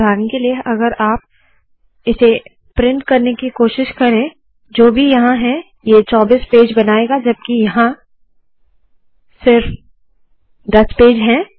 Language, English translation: Hindi, For example, if you try to print this, whatever we have here, it will produce 24 pages even though there are only 10 pages